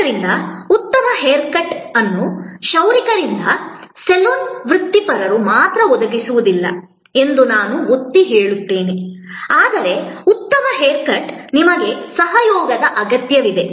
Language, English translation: Kannada, So, again I would emphasize that a good hair cut is not only provided by the barber by the saloon professional, but also a good hair cut needs your contribution